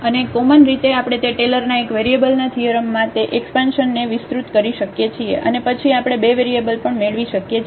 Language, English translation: Gujarati, And in general also we can extend that expansion in this Taylor’s theorem of one variable and then we can have for the two variables as well